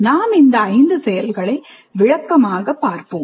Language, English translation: Tamil, Now let us look at these five instructional activities in some detail